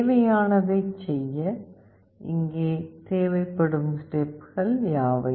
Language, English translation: Tamil, What are the steps that are required here to do the needful